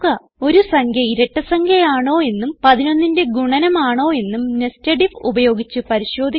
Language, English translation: Malayalam, * Check whether a number is even and also a multiple of 11 using nested if